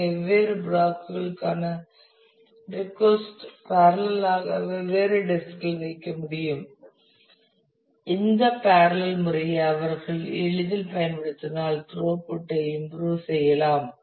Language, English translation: Tamil, So, the request to different blocks can run in parallel and reside on different disk and if they can easily utilize this parallelism to improve the throughput